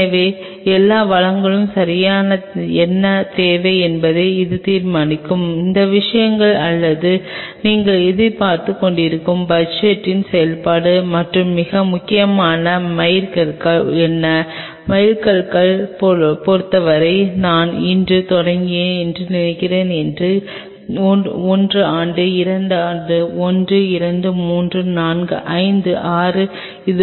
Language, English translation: Tamil, So, that will decide what all resources will be needing right and all these things or a function of the kind of budget you are looking forward and most importantly is what are the milestones, in terms of milestone I meant like suppose today I am starting one year, two year; one, two, three, four, five, six, likewise